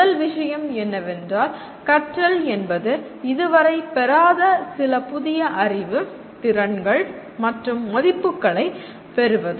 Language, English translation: Tamil, First thing is learning is acquiring some new knowledge, skills and values which we did not have prior to learning